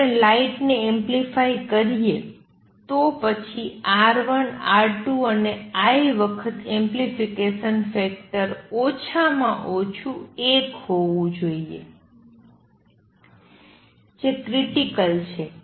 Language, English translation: Gujarati, If the light is to we amplify it then R 1, R 2, I times the amplification factor must be at least one that is the critical